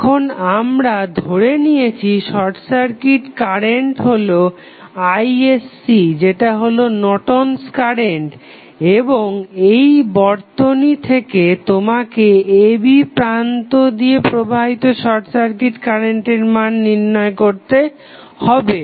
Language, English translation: Bengali, Now, we have assume that there is a short circuit current Isc which is nothing but the Norton's current and you have the circuit you need to find out the value of short circuit current flowing through short circuited terminal AB